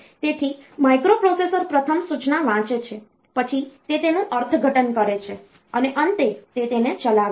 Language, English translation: Gujarati, So, the microprocessor first reads the instruction, then it interprets it and finally, it executes it